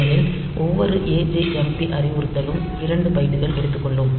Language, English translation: Tamil, Now, each of these instructions they will take 2 bytes